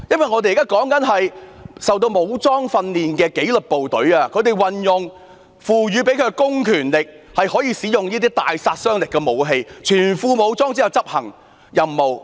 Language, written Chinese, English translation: Cantonese, 我們現在討論的，是曾接受武裝訓練的紀律部隊，他們運用獲賦的公權力，可以使用大殺傷力武器，在全副武裝下執行任務。, The police officers in question are military - trained members of disciplined services . They are given public powers to use lethal weapons and they are equipped with full gear to perform their duties